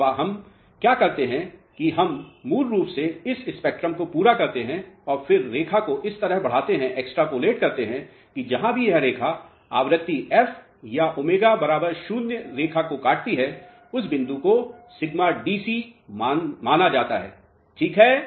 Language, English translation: Hindi, So, what we do is we basically complete this spectrum and then extrapolate this line in such a way that wherever this cuts the frequency f or omega equal to 0 line, so this point is considered as sigma DC alright